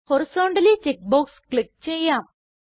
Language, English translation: Malayalam, Lets click on Horizontally check box